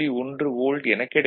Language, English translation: Tamil, 1 volt, that is 1